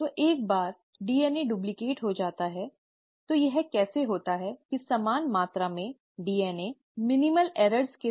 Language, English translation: Hindi, So once the DNA has been duplicated, how is it that the same amount of DNA with minimal errors